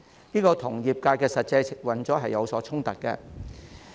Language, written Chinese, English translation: Cantonese, 這與業界的實際運作是有所衝突的。, These are in conflict with the actual operation of the industry